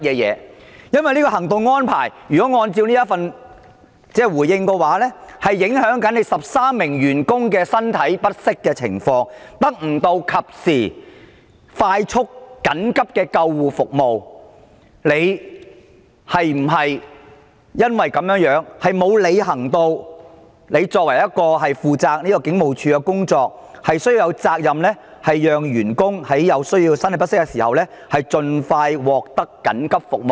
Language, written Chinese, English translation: Cantonese, 因為就行動安排而言，如果按照主體答覆所說，會影響這13名身體不適員工的情況，令他們得不到及時快速的緊急救護服務。你是否因為這樣而沒有履行負責警務處工作的責任，讓員工在身體不適的時候盡快獲得緊急救護服務？, The reason for my question is that if the main reply was anything to go by the operational arrangements would affect the conditions of these 13 unwell employees depriving them of timely and prompt emergency ambulance service and if that was the case did you fail to fulfil your responsibility for the work of the Police Force namely to facilitate employees to receive emergency ambulance service as soon as possible when they feel unwell?